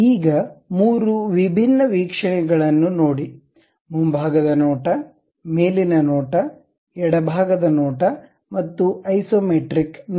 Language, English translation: Kannada, Now, look at 3 different views, something like the front view, the top view, the left side view and the isometric view